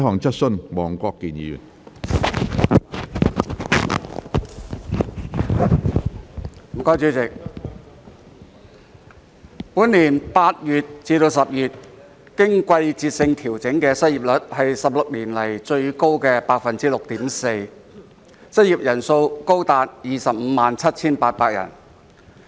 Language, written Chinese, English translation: Cantonese, 主席，本年8月至10月經季節性調整的失業率為16年來最高的百分之六點四，失業人數高達257800人。, President the seasonally adjusted unemployment rate from August to October this year was 6.4 % the highest in 16 years with the number of unemployed persons reaching as high as 257 800